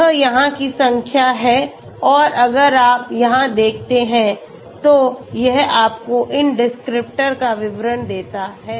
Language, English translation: Hindi, This is the number here and if you look here, it gives you the details of these descriptors okay